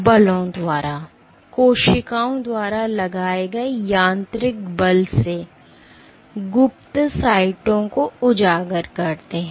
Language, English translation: Hindi, Via forces, mechanical forces exerted by cells expose cryptic sites